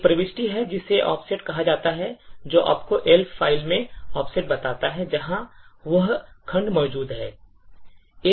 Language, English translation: Hindi, There is an entry called the offset which tells you the offset in the Elf file, where that segment is present